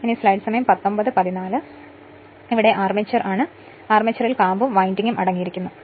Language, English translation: Malayalam, So, next is the armature, the armature consists of core and winding